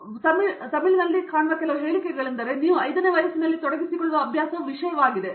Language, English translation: Kannada, So these are all some statements we will see in Tamil, so the habit that you inculcate in the age of 5, will be thing